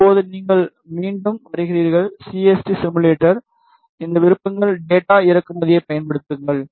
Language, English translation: Tamil, Now, you come to again CST simulator use this options data import